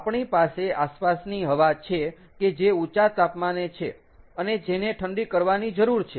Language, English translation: Gujarati, now we have ambient air which is at an elevated temperature and which needs to be cooled down